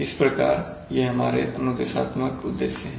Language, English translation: Hindi, So that’s, these are our instructional objectives